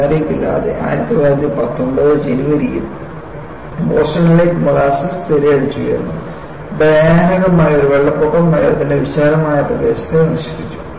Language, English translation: Malayalam, Without warning, in January 1919, molasses surged over Boston and a frightful flood devastated a vast area of the city